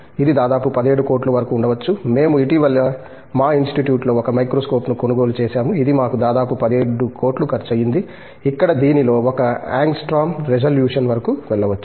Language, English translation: Telugu, It can go up to almost like about 17 crores, we recently have bought a microscope in our Institute which costed us almost like 17 crores, where it can go up to 1 angstrom resolution